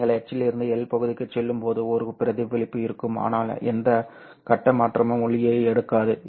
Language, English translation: Tamil, When you go from H to L region, there will be reflection, but there won't be any phase shift picked up by the light